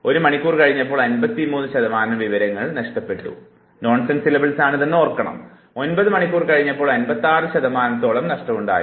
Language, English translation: Malayalam, After 1 hour 53 percent loss of information, after 9 hours we have 56 percent of loss